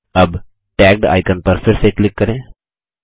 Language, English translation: Hindi, Lets click on the icon Tagged again